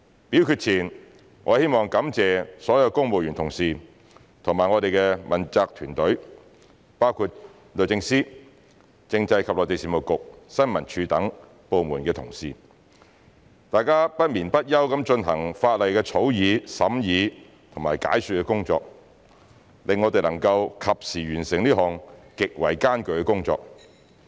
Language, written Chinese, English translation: Cantonese, 表決前，我希望感謝所有公務員同事及我們的問責團隊，包括律政司、政制及內地事務局、政府新聞處等部門的同事，大家不眠不休地進行法例草擬、審議和解說的工作，令我們能夠及時完成這項極為艱巨的工作。, Before voting I wish to thank all my civil service colleagues and our team of accountability officials including colleagues from departments such as the Department of Justice the Constitutional and Mainland Affairs Bureau and the Information Services Department for their relentless efforts in drafting scrutinizing and explaining the legislation which have enabled us to bring this extremely difficult task to timely completion